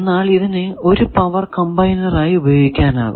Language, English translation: Malayalam, You can also get it as a power combiner